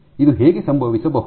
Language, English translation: Kannada, How can this happen